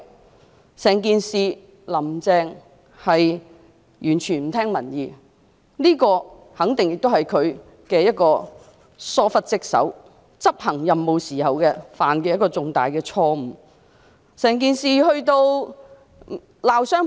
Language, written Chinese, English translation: Cantonese, 在整件事上，"林鄭"完全不聽民意，這肯定亦是她疏忽職守的表現，是她執行任務時所犯的一個重大錯誤。, Throughout the entire incident Carrie LAM has completely turned a deaf ear to public opinions . This definitely amounts to her negligence of duty as well a grave mistake she made in performing her duties